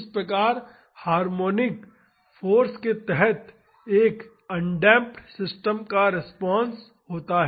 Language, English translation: Hindi, This is how the response of an undamped system under harmonic force